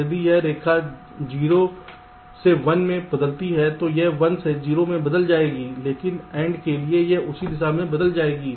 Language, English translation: Hindi, if, if this line changes from zero to one, this will change from one to zero, but for end it will change in the same direction